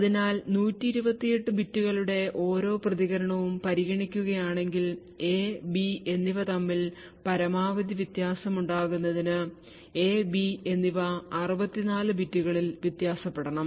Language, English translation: Malayalam, So if we are considering that each response of 128 bits in order to have maximum difference between A and B, ideally A and B should vary in 64 bits